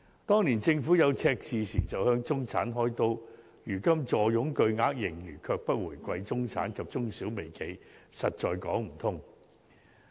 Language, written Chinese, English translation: Cantonese, 當年政府出現赤字時便向中產"開刀"，但如今坐擁巨額盈餘，卻不回饋中產及中小微企，實在說不過去。, Years ago the Government turned to the middle class when it faced a fiscal deficit but it does not give the middle class SMEs and micro - enterprises any benefits in return when the Treasury has such huge fiscal surpluses now . This is indeed not justified